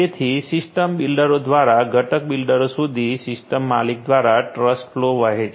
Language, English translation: Gujarati, So, trust flow flowing through the system owner through the system builders to the component builders